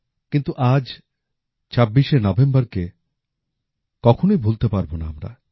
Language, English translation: Bengali, But, we can never forget this day, the 26th of November